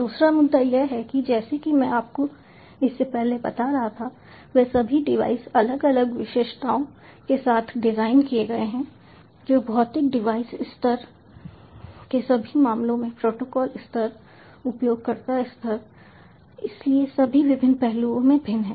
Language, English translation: Hindi, they all have been designed with different specifications, heterogeneous in all respects: in the physical device level, in the protocol level, user level, so in all different aspects